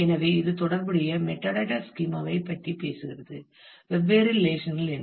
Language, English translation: Tamil, So, this is saying that the; this is the relational metadata schema which is talking about, what is the different relations